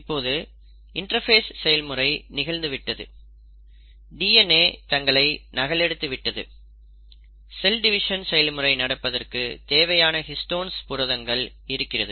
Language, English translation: Tamil, Now the interphase is over, the DNA has duplicated itself, there are sufficient histone proteins available and now the nucleus is ready to divide